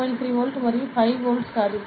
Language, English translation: Telugu, 3 volt and not 5 volts